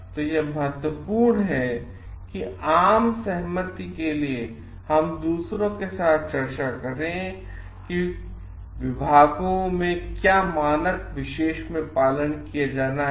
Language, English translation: Hindi, It is very important that we discuss with others and come to a consensus what is the standard needs to be followed in the particular departments